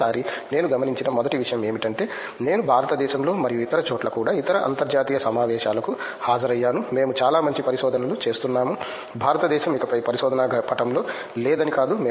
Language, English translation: Telugu, And then first thing I noticed this time, I have attended other international conferences also within India and elsewhere that we do very good research it’s not that India is no longer in the research map any more